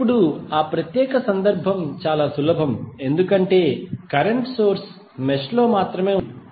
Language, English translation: Telugu, Now, that particular case was relatively simple because mesh the current source was in only one mesh